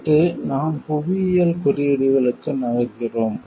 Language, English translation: Tamil, Next when we are moving to the geographical indicators